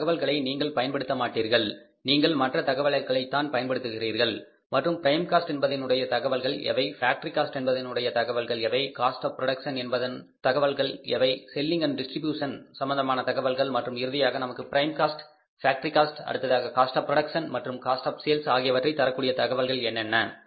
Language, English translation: Tamil, You will not make use of this information, you will only use the other items and you should be knowing it very clearly where the say which are the prime cost items which are the factory item factory cost items which are the cost of production items which are sales and distribution items and finally the items which give us the say factory cost prime cost factory cost then the cost of production and cost of sales